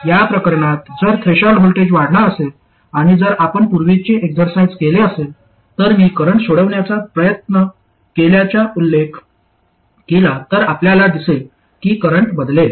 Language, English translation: Marathi, Whereas in this case, if the threshold voltage increases and if you carried out that earlier exercise I mentioned of trying to solve for the current here, you will see that the current will change